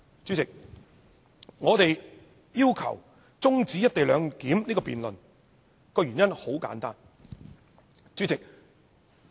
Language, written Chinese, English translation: Cantonese, 主席，我們要求中止"一地兩檢"議案辯論的原因很簡單。, President the rationale behind our request for adjourning the debate on the co - location arrangement is very simple